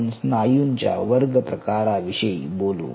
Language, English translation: Marathi, so lets talk about the classification of the muscle